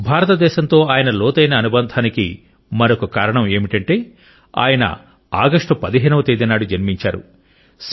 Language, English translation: Telugu, Another reason for his profound association with India is that, he was also born on 15thAugust